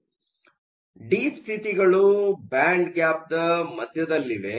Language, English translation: Kannada, So, deep states are located close to the center of the band gap